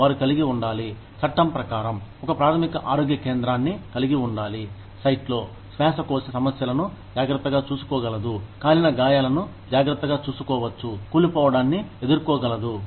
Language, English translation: Telugu, They will have to have, I think, there are required by law, to have a primary health center, on site, that can take care of respiratory problems, that can take care of burns, that can deal with mine collapses